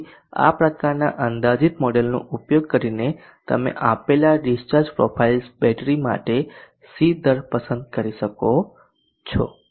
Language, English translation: Gujarati, So using this kind of approximate model you can select the c rate for the battery given discharge profiles